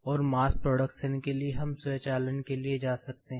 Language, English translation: Hindi, And, for mass production, we go for automation